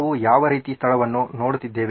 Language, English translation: Kannada, What kind of a place are we looking at